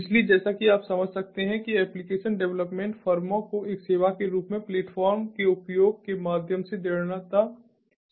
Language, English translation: Hindi, so, as you can understand, application development firms would be strongly benefited through the use of platform as a service